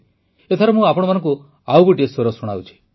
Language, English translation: Odia, Now I present to you one more voice